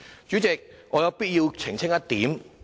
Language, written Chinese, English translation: Cantonese, 主席，我有必要澄清一點。, President I find it necessary to clarify one point